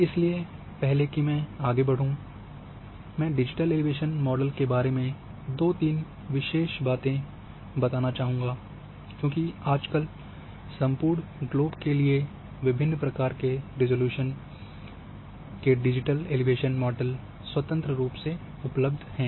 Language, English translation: Hindi, Before I go further details in this I would like to bring two three things about digital elevation model particularly, because nowadays it is free digital elevation models of different resolution right from variety of methods are available freely on net for entire globe